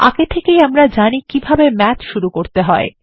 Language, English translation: Bengali, Now, we know how to call Math